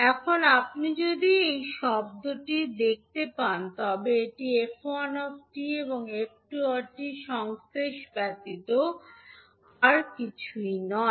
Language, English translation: Bengali, Now if you see this particular term this is nothing but the convolution of f1 and f2